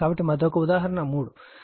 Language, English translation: Telugu, So, another one is example 3